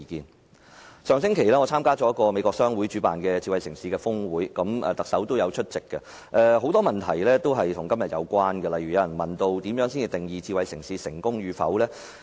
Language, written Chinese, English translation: Cantonese, 我在上星期參加了由美國商會主辦的智慧城市峰會，特首也有出席，台下的很多問題均與今天的議題有關，例如有人問如何定義發展智慧城市成功與否？, Last week I attended the Smart City Summit hosted by the American Chamber of Commerce in Hong Kong where the Chief Executive was also present . Many questions raised by the audience were related to the subject matter today . For example someone asked how success in the development of smart city could be defined